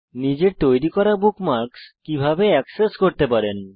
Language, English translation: Bengali, How can you access the bookmarks you create